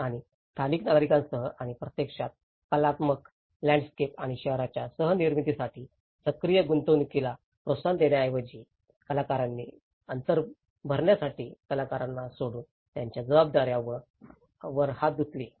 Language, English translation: Marathi, And with the local citizens and in fact, rather than fostering active engagement for co creation of the artistic landscape and the city, the institutions washed their hands on their responsibilities leaving the artists to fill the gap